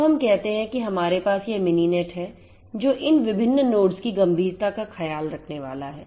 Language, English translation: Hindi, So, let us say that we have let us say that we have this Mininet which is going to take care of instantiation of these different nodes